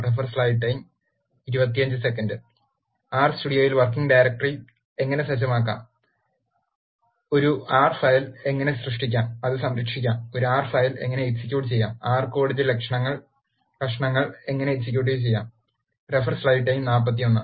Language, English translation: Malayalam, In R studio, we are going to look how to set the working directory, how to create an R file and save it, how to execute an R file and how to execute pieces of R code